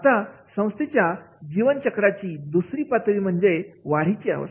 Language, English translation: Marathi, Second phase of the life cycle of an organization and that is about the growth